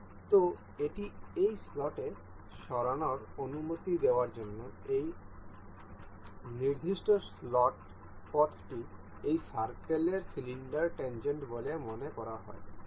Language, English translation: Bengali, So, in order to make allow this to move into this slot this particular slot path is supposed to be tangent on this circular cylinder